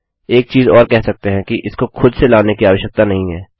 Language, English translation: Hindi, Another thing to add is that, it does not need to be called on its own